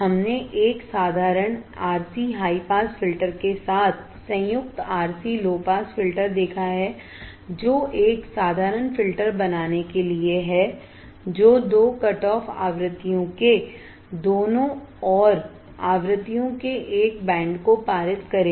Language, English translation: Hindi, We have seen a basic R c low pass filter combined with RC high pass filter to form a simple filter that will pass a band of frequencies either side of two cutoff frequencies